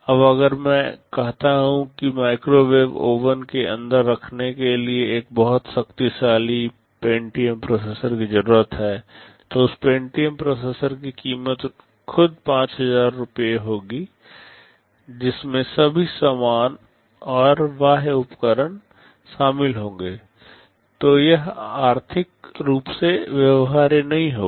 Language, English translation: Hindi, Now if I say that I need a very powerful Pentium processor to be sitting inside a microwave oven, the price of that Pentium processor itself will be 5000 rupees including all accessories and peripherals, then this will be economically not viable